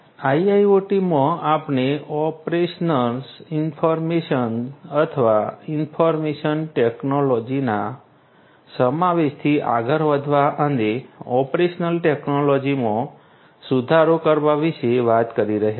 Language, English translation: Gujarati, In IIoT we are talking about going beyond the operations, incorporation or inclusion of information technology and improving upon the operational technologies